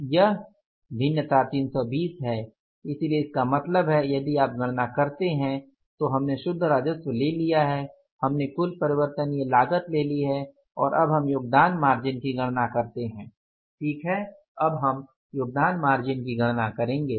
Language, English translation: Hindi, So, it means now if you calculate the say we have taken the net revenue we have taken the total variable cost and now we calculate the contribution margin